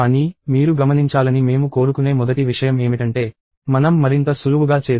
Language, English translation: Telugu, But, the first thing I want you to do observe is that, let us become much more elegant